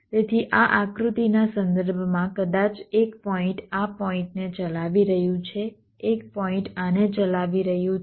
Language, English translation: Gujarati, so, with respect to this diagram, maybe one point is driving this point, one point is driving this